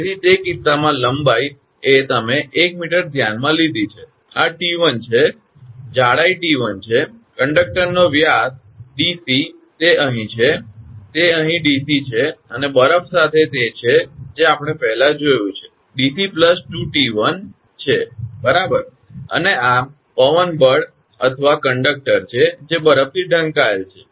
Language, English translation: Gujarati, So, in that case length is you have considered 1 meter, this is t 1, thickness is t 1, this is the diameter of the conductor dc same here, same it is here dc, and with ice it is as we have seen before dc plus 2 t 1 right, and this is wind force or conductor covered with ice right